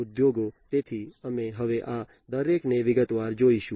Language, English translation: Gujarati, So, we will look at each of these in detail now